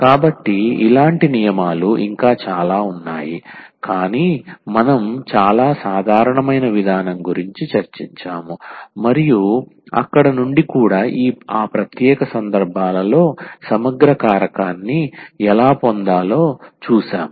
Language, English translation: Telugu, So, there are many more such rules can be derived from there, but what we have discussed a very general approach and from there also we have at least seen how to get the integrating factor in those special cases